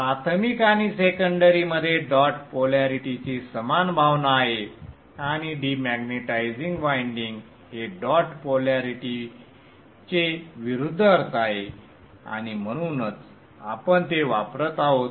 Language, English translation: Marathi, The primary and the secondary have the same sense of dot polarity and the demaritizing winding is the opposite sense of dot polarity and exactly that is what we are using